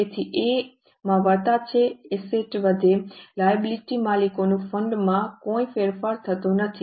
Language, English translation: Gujarati, So, there is a plus in A, assets go up, no change in liability, owners fund go up